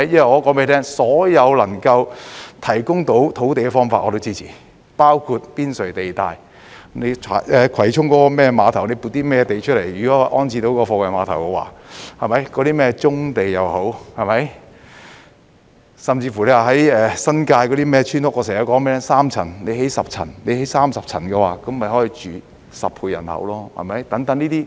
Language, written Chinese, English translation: Cantonese, 我告訴你，所有能夠提供土地的方法我都支持，包括郊野公園邊陲地帶，葵涌貨櫃碼頭——只要能撥出土地安置貨櫃碼頭，棕地，甚至新界村屋——我經常說該等村屋只有3層，若興建10層、30層，便可容納10倍人口居住。, Let me tell you . I support any means to increase land supply including making use of the periphery of country parks the Kwai Chung Container Terminals―so long as land can be allocated for reprovisioning the container terminals brownfield sites and even New Territories village houses―I often say that if such village houses consist of 10 or even 30 storeys instead of just three then they can accommodate 10 times the residents